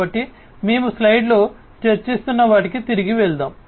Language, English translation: Telugu, So, let us just go back to what we were discussing in the slides